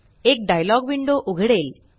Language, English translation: Marathi, A dialog window opens